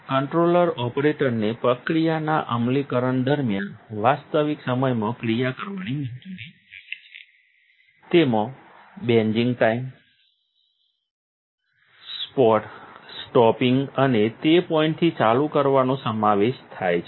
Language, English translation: Gujarati, The controller allows operator in action in real time during the process execution including buzzing time, stopping and continuing on from that point